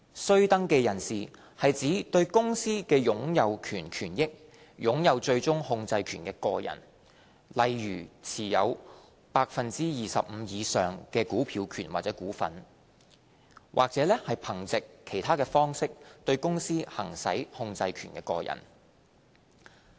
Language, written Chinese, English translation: Cantonese, 須登記人士是指對公司的擁有權權益擁有最終控制權的個人，例如持有 25% 以上的投票權或股份，或憑藉其他方式對公司行使控制權的個人。, A registrable person means an individual who ultimately has a controlling ownership interest in the company or who exercises control of the company through other means